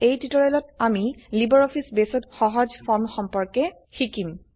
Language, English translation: Assamese, In this tutorial, we will cover Simple Forms in LibreOffice Base